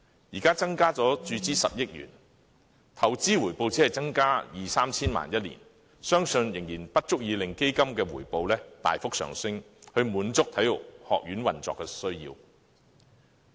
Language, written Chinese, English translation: Cantonese, 現時增加注資10億元，相信每年的投資回報只會增加二三千萬元，仍然不足以令基金回報大幅上升，以滿足體院運作的需要。, With the current injection of 1 billion the annual investment return is only expected to grow 20 million to 30 million and the increase is not significant enough to cater for the operational needs of HKSI